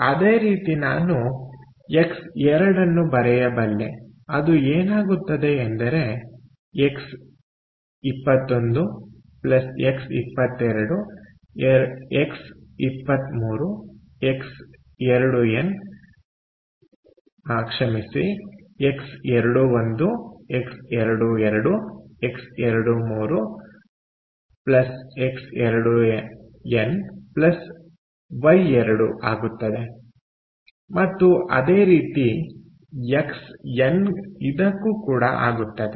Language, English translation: Kannada, ok, so similarly, i can write: x two is going to be x two, one plus x two, two plus x two, three plus x two, n plus y two, all right, and similarly xn, all right